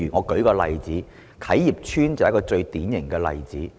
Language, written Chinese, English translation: Cantonese, 舉例來說，啟業邨便是最典型的例子。, Kai Yip Estate is a most typical example . Members can take a look at it